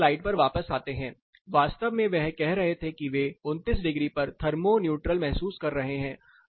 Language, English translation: Hindi, Getting back to the previous slide, what actually they were saying they were feeling thermo neutral about they were saying I am feeling thermo neutral at 29 degrees